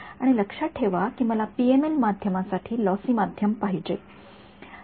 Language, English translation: Marathi, And remember that is what I wanted for a for a PML medium I needed a lossy thing